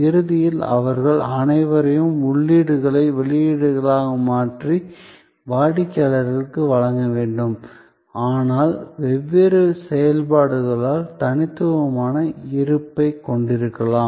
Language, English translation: Tamil, Ultimately, they all have to convert inputs into an output and deliver it to customer, but yet the different functions can have distinctive presence